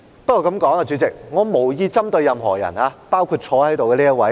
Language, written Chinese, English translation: Cantonese, 不過，主席，我這樣說無意針對任何人，包括坐在這裏的這一位。, Having said that President I have no intention to pick on anyone including this person sitting here